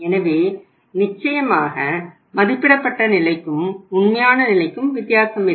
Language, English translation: Tamil, So the difference between the estimated and the actual is 0